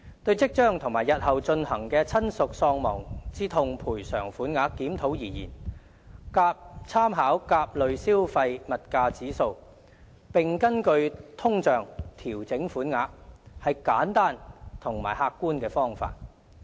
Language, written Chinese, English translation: Cantonese, 對於即將和日後進行的親屬喪亡之痛賠償款額檢討而言，參考甲類消費物價指數，並根據通脹調整款額，是簡單和客觀的方法。, An adjustment based on inflation by making reference to the CPIA could provide a simple and objective methodology for the coming and future reviews of the bereavement sum